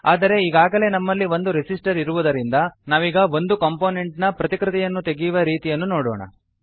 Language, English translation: Kannada, But since we already have a resistor, let us see how to copy a component